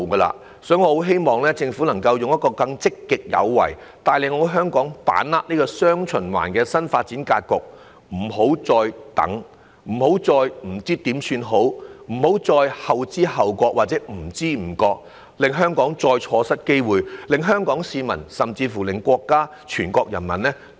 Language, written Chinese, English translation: Cantonese, 因此，我希望政府能更積極有為，帶領香港把握"雙循環"的新發展格局，不要再拖，不要再手足無措，不要再後知後覺或不知不覺，令香港再錯失機會，令香港市民甚至國家及全國人民對我們失望。, Therefore I hope that the Government will be more proactive in leading Hong Kong to seize the opportunities arising from the countrys new development pattern featuring dual circulation . There should be no delay or panic nor should it be slow in responding to or even unaware of the opportunities . Hong Kong should not miss any more opportunities and let Hong Kong people and even our country and the people of our country down